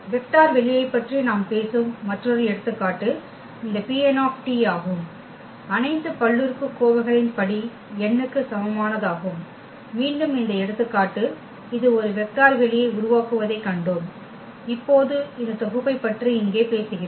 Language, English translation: Tamil, Another example where we are talking about the vector space this P n of all polynomials of degree less than equal to n; again this example we have seen that this form a vector space and now we are talking about this set here 1 t t square and so on t n